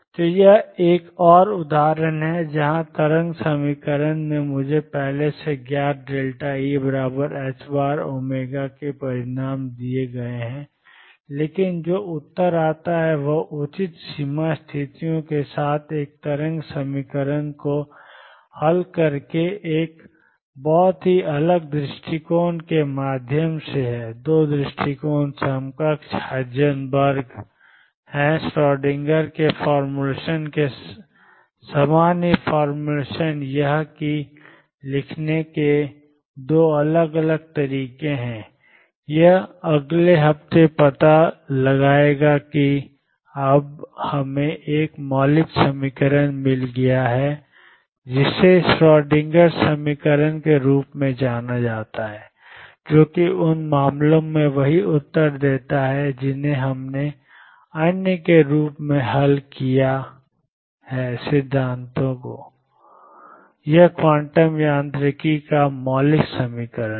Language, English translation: Hindi, So, this is another instance where the wave equation has give me given me the results already known delta e is h cross omega, but the answer that comes is through a very different approach by solving a wave equation with appropriate boundary conditions are the 2 approaches equivalent is Heisenberg’s formulation the same as Schrodinger’s formulation is just that is 2 different ways of writing this will explore next week for the time being we have now found a fundamental equation known as a Schrodinger equation which gives the same answers in the cases that we have solved as other theories